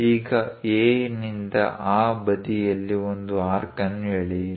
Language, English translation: Kannada, Now draw an arc on that side from A